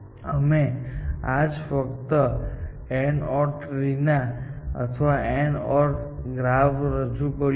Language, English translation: Gujarati, Today, we have just introduced the idea of AND OR trees or AND OR graphs